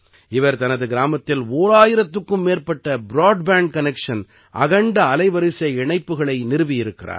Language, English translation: Tamil, He has established more than one thousand broadband connections in his village